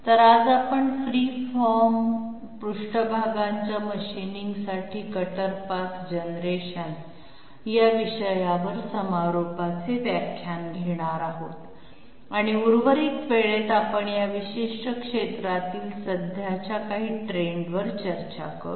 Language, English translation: Marathi, So today we will have the concluding lecture on cutter path generation for machining free form surfaces and in the remaining time we will discuss some of the current trends in this particular area